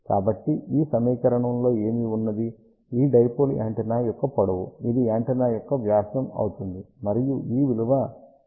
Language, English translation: Telugu, So, what is this equation, this is length of the dipole antenna, this is diameter of the antenna and this is equivalent to 0